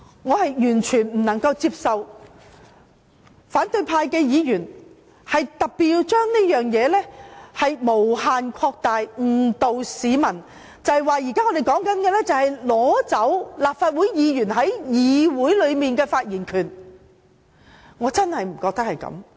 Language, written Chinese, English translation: Cantonese, 我完全無法接受反對派議員將這件事無限擴大，誤導市民，指我們現在討論的，是要剝奪立法會議員在議會內的發言權，我真的認為不是這樣。, I find it totally unacceptable for the opposition Members to overplay this incident and mislead the public by saying that the present discussion is on depriving Members of their right to speak in this Council . I truly think this is not the case . I think they should not say so